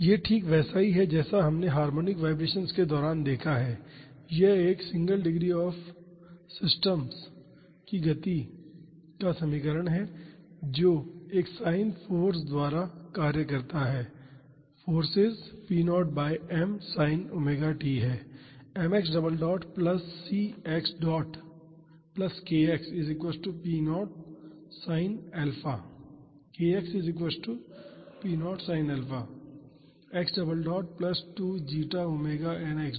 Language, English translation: Hindi, This this is exactly what we have seen during harmonic vibrations, this is the equation of motion of a single degree of freedom systems acted upon by a sin force the forces p naught sin omega t